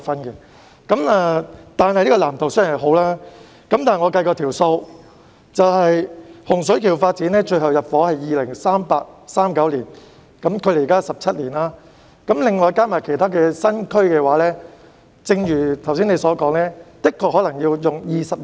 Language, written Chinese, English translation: Cantonese, 然而，這個藍圖雖好，但我計算過，洪水橋發展的最後入伙時間是2038年或2039年，距今約17年，其他新區發展則如你剛才所說，可能需時20年。, However while the blueprint is good I estimate that the population intake of the Hung Shui Kiu development project will not take place until 2038 or 2039 some 17 years from now . As for other new development areas it may also take as long as 20 years to develop as you just said